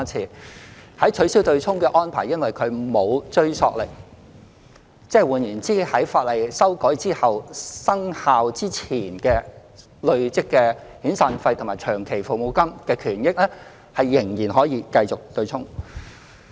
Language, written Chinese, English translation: Cantonese, 由於取消"對沖"的安排沒有追溯力，在法例修訂後，生效之前累積的遣散費和長服金權益仍然可以繼續"對沖"。, After the legislative amendment SP and LSP entitlements accrued before commencement of the amended legislation can still continue to be offset because the abolition of the offsetting arrangement has no retrospective effect